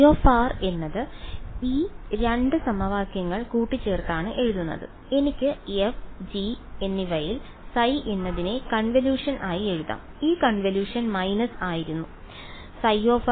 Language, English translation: Malayalam, Phi of r was written as combining these 2 equations I can write phi in terms of f and g as the convolution right and that convolution was minus